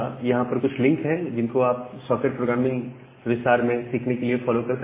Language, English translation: Hindi, So, here are some link that you can follow to learn socket programming in more details